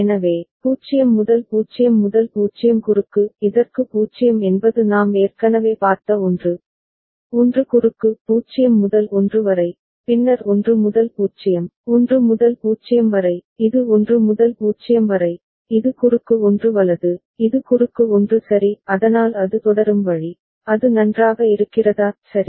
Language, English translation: Tamil, So, 0 to 0 0 cross; 0 to this is 1, 1 cross we have already seen; 0 to 1, then 1 to 0, 1 to 0, this is 1 to 0, this is cross 1 right, this is cross 1 ok; so that is the way it will proceed, is it fine right